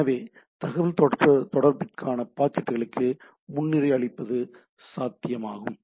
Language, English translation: Tamil, So, prioritization of the packets for the communication, this is also possible